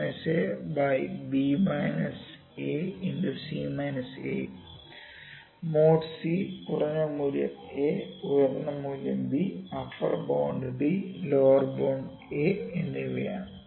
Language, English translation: Malayalam, The mode is c minimum value a maximum value b upper bound is b lower bound is a, ok